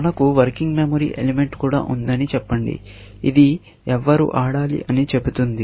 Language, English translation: Telugu, Let us say, we also have a working memory element, which says, who has to play